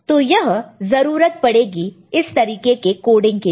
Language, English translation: Hindi, So, this is the way things are done in this kind of coding